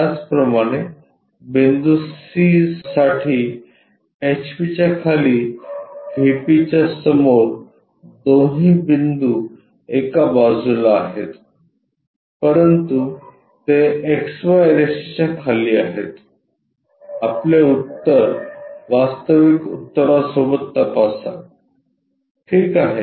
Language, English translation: Marathi, Similarly, for point c below HP in front of VP both the points on one side, but that is below XY line, check your solution with the actual solution ok